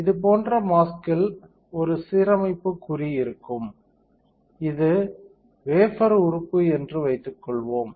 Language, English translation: Tamil, Suppose, this is a alignment mark on the mask like this, this element on the wafer